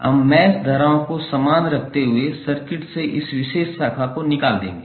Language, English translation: Hindi, We will remove this particular branch from the circuit while keeping the mesh currents same